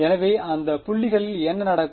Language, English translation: Tamil, So, at those points what will happen